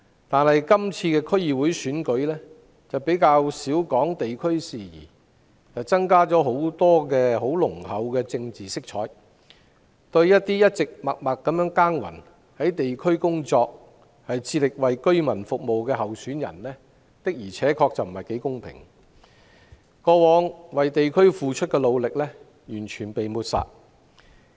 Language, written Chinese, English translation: Cantonese, 但是，今次區議會選舉較少提及地區事宜，大幅增加濃厚政治色彩，對於一直在地區默默耕耘地工作，致力為居民服務的候選人不太公平，他們過往為地區付出的努力完全被抹煞。, However the DC Election this year has focused less on various district issues and it has a very rich political tint . This is not very fair to candidates who have been working quietly in the districts and committed to serving the residents . The efforts they made for the district in the past have been completely neglected